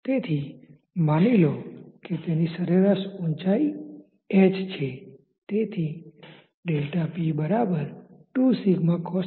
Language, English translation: Gujarati, So, let us say that this is h